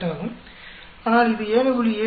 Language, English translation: Tamil, 48, but it is closer to 7